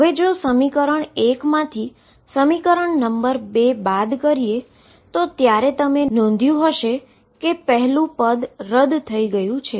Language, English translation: Gujarati, Subtract 2 from 1 and when you subtract you notice that the first one cancels